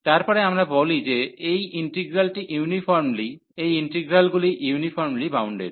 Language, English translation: Bengali, Then we call that this integral is uniformly, these integrals are uniformly bounded